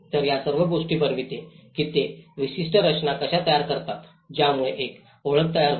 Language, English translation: Marathi, So, all these makes how they gives shape certain structure that create an identity